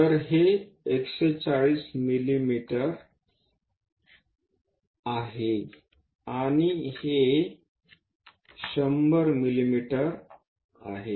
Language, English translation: Marathi, So, this is 140 mm, and this is 100 mm